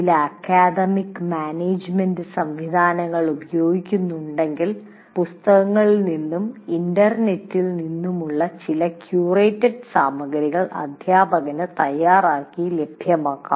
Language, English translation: Malayalam, And these days if you are using some academic management system, some curated material both from books and internet can also be prepared by teacher and made available